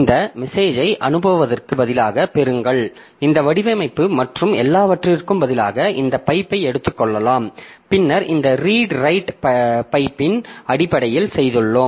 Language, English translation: Tamil, So, instead of going into this message, send, receive and this formatting and all, so you can simply take this pipe and then this read write can be done in terms of the pipe